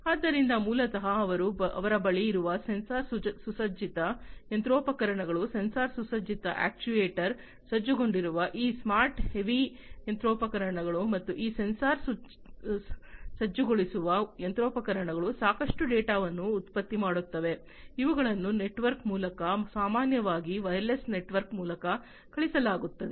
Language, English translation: Kannada, So, so, basically what they have is sensor equipped machinery, these smart you know heavy machinery that they have they, they are sensor equipped actuator equipped and so on these sensor equip machinery throw in lot of data which are sent through a network typically wireless network